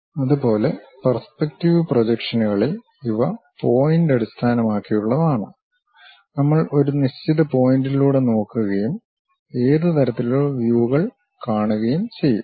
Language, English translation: Malayalam, Similarly in the perceptive projections, these are based on point; we look through certain point and what kind of views we will see